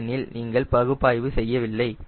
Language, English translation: Tamil, we are not doing analysis